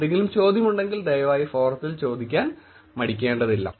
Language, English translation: Malayalam, If there is any question please feel free to ask in the forum for sure